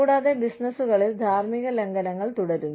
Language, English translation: Malayalam, And, ethical violations continue to occur, in businesses